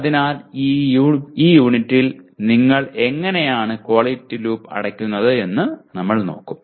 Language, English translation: Malayalam, So we will be looking at in this unit how do we go around closing the quality loop